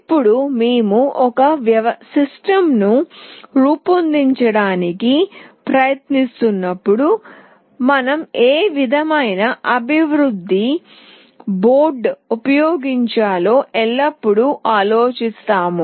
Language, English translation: Telugu, Now when we try to design a system, we always think of what kind of development board we should use